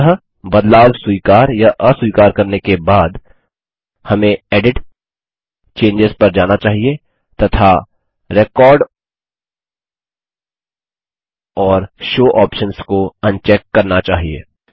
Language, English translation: Hindi, Finally, after accepting or rejecting changes, we should go to EDIT gtgt CHANGES and uncheck Record and Show options